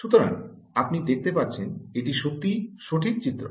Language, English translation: Bengali, so you can see, this is indeed the right schematic